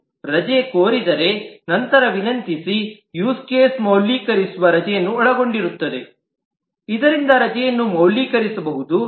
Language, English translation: Kannada, If the leave is requested, then request use case will include the validate leave so that the leave can be validated